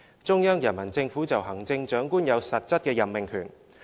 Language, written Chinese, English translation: Cantonese, 中央人民政府就行政長官有實質的任命權。, The Central Peoples Government has the substantive right to appoint the Chief Executive